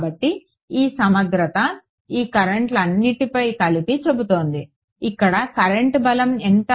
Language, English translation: Telugu, So, this integral is saying sum over all of these currents what is the current strength over here